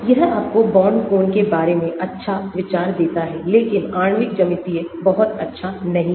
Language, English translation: Hindi, It gives you good idea about the bond angles but molecular geometry it is not very nice